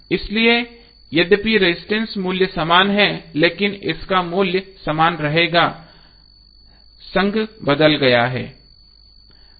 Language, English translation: Hindi, So although resistor value is same but, its value will remain same but, the association has changed